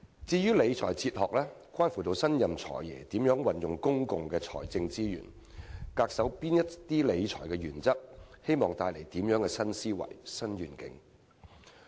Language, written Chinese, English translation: Cantonese, 至於理財哲學則關乎新任"財爺"如何運用公共財政資源，恪守哪些理財原則，並希望帶來怎樣的新思維和新願景。, Regarding his financial philosophy it relates to questions such as how will the new Financial Secretary use public financial resources what principles of fiscal management will he observe and what kind of new thinking or new vision will he lay before us?